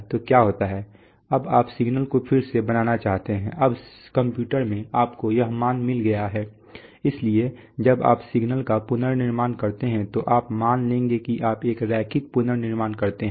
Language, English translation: Hindi, So what happens is the, now you would like to reconstruct the signal right, now in the computer you have got these values so when you reconstruct the signal, you will suppose you do a linear reconstruction